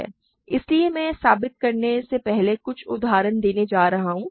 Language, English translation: Hindi, So, I am going to give a couple of examples before I prove this